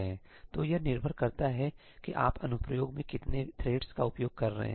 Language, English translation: Hindi, So, it depends on how many threads you are using in the application